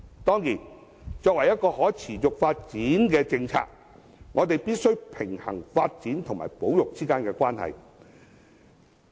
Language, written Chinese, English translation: Cantonese, 當然，作為可持續發展的政策，我們必須平衡發展與保育之間的關係。, Of course we must formulate a sustainable policy in order to strike a balance between development and conservation